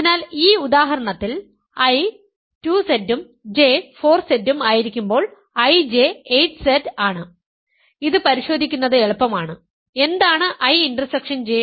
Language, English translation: Malayalam, So, I J in this example when I is 2Z and J is 4Z, I J is 8Z; this is easy to check and what is I intersection J